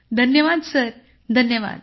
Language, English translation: Marathi, Thank you sir, thank you sir